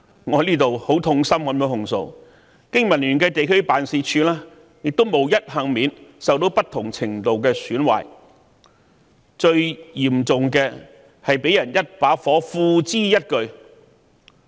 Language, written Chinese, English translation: Cantonese, 我在此很痛心地控訴，經民聯的地區辦事處亦無一幸免，受到不同程度的損壞，最嚴重的是被人縱火，付諸一炬。, I say with deep sorrow that the district offices of the Business and Professionals Alliance for Hong Kong have also suffered the same fate and experienced different degrees of damage and in the most serious case the office concerned was completely destroyed in a fire